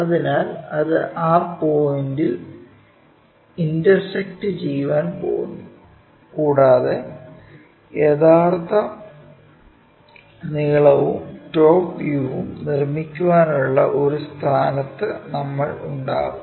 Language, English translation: Malayalam, So, that is going to intersect at that point and we will be in a position to construct true length and the top view